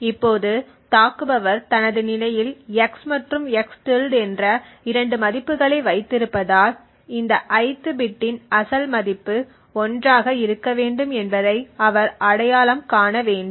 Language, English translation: Tamil, Now what the attacker has in his position these two values x and x~ form this he needs to identify that the original value for this ith bit should be 1